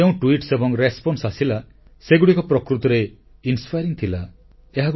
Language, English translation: Odia, All tweets and responses received were really inspiring